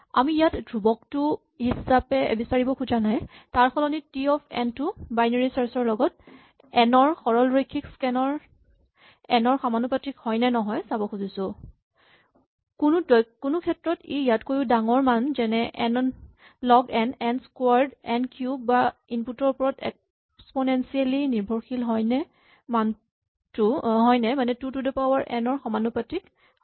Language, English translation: Assamese, So we are not really interested in exact constants we want to know for instance is T of n proportional to log of n, for example in the case of binary search or n in the case of linear scan or larger values like n log n, n squared, n cubed, or is it even exponentially dependent on the input, is it 2 to the n